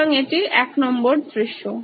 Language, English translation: Bengali, So that’s scenario 1